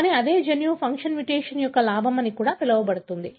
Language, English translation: Telugu, But, the same gene could also have what is called as a gain of function mutation